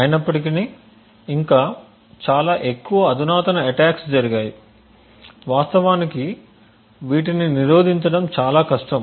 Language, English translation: Telugu, However there have been many more, more sophisticated attacks which are far more difficult to actually prevent